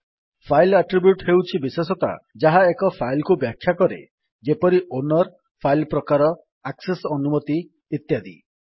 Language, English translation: Odia, File attribute is the characteristics that describes a file such as owner, file type, access permissions etc